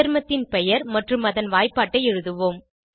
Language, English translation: Tamil, Lets enter name of the compound and its formula